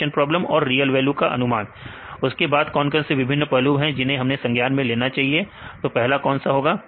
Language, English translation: Hindi, Classification problems and the real value predictions then what are the various aspects you need to consider; The first one is